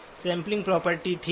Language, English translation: Hindi, Sampling property, okay